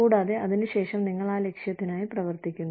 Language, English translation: Malayalam, And, after that, you know, so you work towards that goal